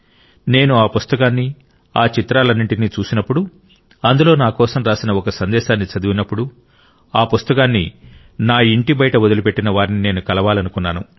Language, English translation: Telugu, When I saw the book and all the pictures and the message for me written there, I felt l should meet the one who had left it for me